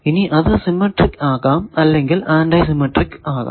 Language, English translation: Malayalam, Now, it can be symmetric, it can be antisymmetric